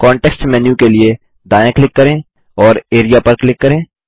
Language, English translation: Hindi, Right click for the context menu and click Area